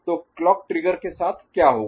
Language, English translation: Hindi, So, with clock trigger what will happen